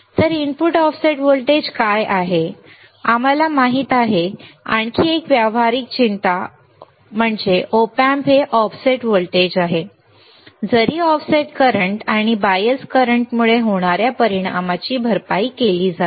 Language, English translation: Marathi, So, what is the input offset voltage, we already know right another practical concern Op Amp is voltage offset even though the effect due to the offset current and bias current are compensated